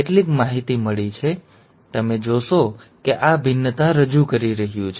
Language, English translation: Gujarati, So you find that this is introducing variations